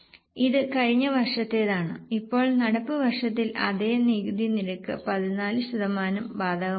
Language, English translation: Malayalam, Now, in the current year please apply the same tax rate 14%